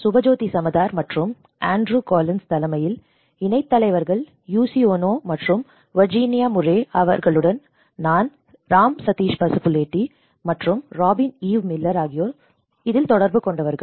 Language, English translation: Tamil, On the chairs of Subhajyoti Samadar and Andrew Collins, Co Chairs are Yuichi Ono and for health Virginia Murray and rapporteurs myself from Sateesh Pasupuleti and Robyn Eve Miller